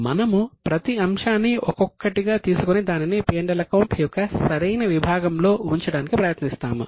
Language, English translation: Telugu, We will take one by one the item and just try to put it in the proper section of P&L